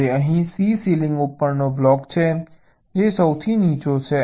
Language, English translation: Gujarati, ok, now here, c is the block on the ceiling which is lowest